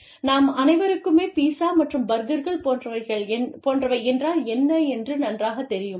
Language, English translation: Tamil, So, everybody knows, what pizza and burgers are